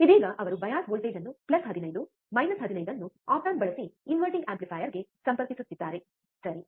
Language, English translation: Kannada, So, what he is, right now performing is he is connecting the bias voltage is plus 15, minus 15 to the inverting amplifier using op amp, alright